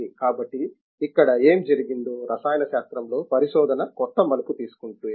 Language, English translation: Telugu, So therefore, what has happened here is, in the chemistry if the research has taken a new turn